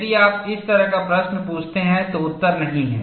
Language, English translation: Hindi, If you ask that kind of a question the answer is, no